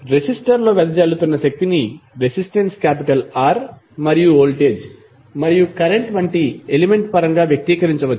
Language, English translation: Telugu, The power dissipated in resistor can be expressed in term of the element like resistance R and the voltage, and current